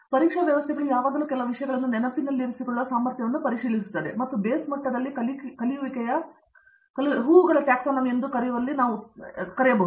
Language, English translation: Kannada, The examination systems are always checking your ability to remember certain things or may be at best in what we call as blooms taxonomy of learning at the base levels